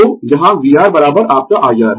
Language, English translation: Hindi, So, here v R is equal to your i R right